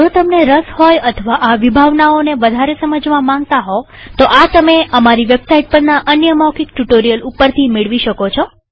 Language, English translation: Gujarati, If you are interested, or need to brush these concepts up , please feel free to do so through another spoken tutorial available on our website